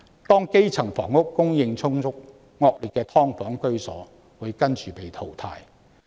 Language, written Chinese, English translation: Cantonese, 當基層房屋供應充足，惡劣的"劏房"居所亦會隨之被淘汰。, Given the ample supply of housing for the grass roots subdivided units of poor conditions will then be eliminated